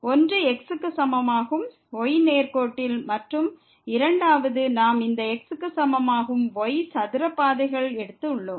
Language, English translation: Tamil, One the straight line is equal to and the second, we have taken this is equal to square paths